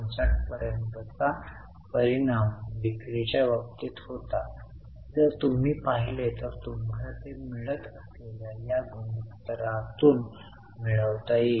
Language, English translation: Marathi, The same impact was in terms of sales if you look at you can get it from this ratio